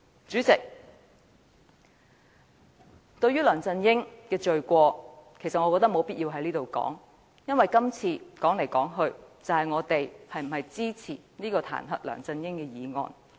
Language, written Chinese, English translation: Cantonese, 主席，對於梁振英的罪行，我覺得沒有必要在此闡述，因為今次說來說去都是我們是否支持這項彈劾梁振英的議案。, President in respect of the crimes of LEUNG Chun - ying I do not see the need to expound on them here as after all what matters now is whether we support the motion to impeach LEUNG Chun - ying